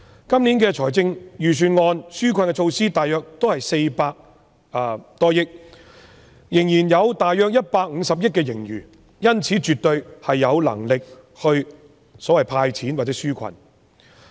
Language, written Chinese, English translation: Cantonese, 今年預算案的紓困措施大約是400多億元，仍然有大約150億元盈餘，因此絕對有能力"派錢"或紓困。, In this Budget over 40 billion has been earmarked for relief measures and since there will be an additional surplus of about 15 billion the Government certainly has the capacity to hand out more cash or provide more relief measures